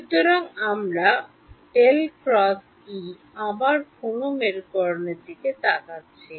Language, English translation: Bengali, So, we are looking at again which polarization